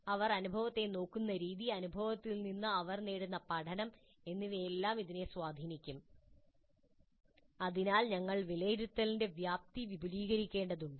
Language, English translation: Malayalam, So they will look at the experience, the learning the gain from the experience will all be influenced by this and thus we have to expand the scope of assessment